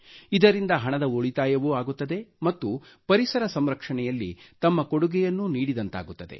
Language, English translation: Kannada, This will result in monetary savings, as well as one would be able to contribute towards protection of the environment